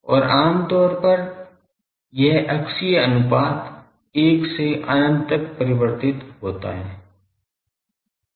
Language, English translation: Hindi, And generally this axial ratio will vary from 1 to infinity